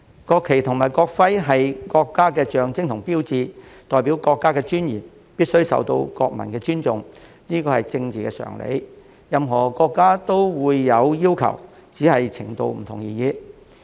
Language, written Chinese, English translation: Cantonese, 國旗及國徽是國家的象徵和標誌，代表國家的尊嚴，必須受到國民的尊重，這是政治常理，也是任何國家都會有的要求，只是程度不同而已。, The national flag and national emblem are the symbols and signs which represent the dignity of the country and they should be respected by the people . This is a politically sensible requirement that every country will impose with the only difference being the extent of the requirement